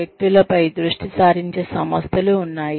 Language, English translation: Telugu, There are organizations, that focus on individuals